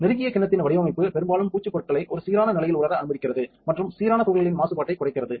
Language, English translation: Tamil, So, the close bowl design allows most coating materials to dry in a quiescent state increasing uniformity and minimizing particle contamination